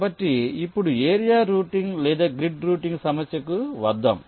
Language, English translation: Telugu, ok, so let us now come to the problem of area routing or grid routing